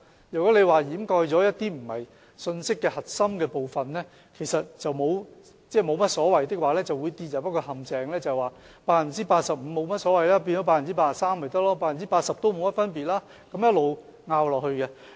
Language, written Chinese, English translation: Cantonese, 如果掩蓋了一些非信息核心的部分是沒有所謂的話，就會跌入一個陷阱，認為 85% 變成 83% 沒所謂 ，80% 也沒有甚麼分別，然後一直爭拗下去。, If we do not care about whether the parts not carrying the key message are covered we will fall into the trap thinking that the reduction from 85 % to 83 % does not matter much and 80 % also makes no difference followed by an endless dispute